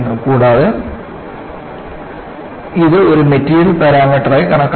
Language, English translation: Malayalam, And, this is considered as a material parameter